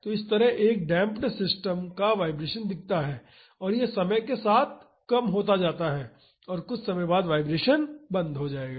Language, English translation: Hindi, So, this is how the vibration of a damped system looks like and it decays with time and after some time the vibration stops